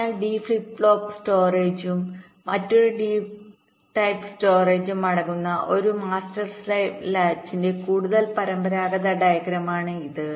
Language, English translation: Malayalam, so this is the more conventional diagram of a master slave latch consisting of a d type storage and another d type storage